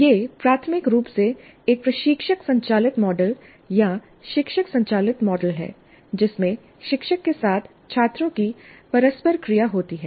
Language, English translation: Hindi, So it is primarily a instructor driven model or teacher driven model with students active interaction with the teacher